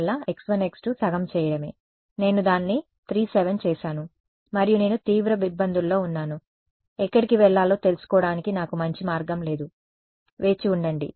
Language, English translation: Telugu, Yeah exactly for this case all I had to do was make x 1 x 2 from half, I made it 3 7 and boom I am in deep trouble, I have no good way of knowing where to go wait that is that is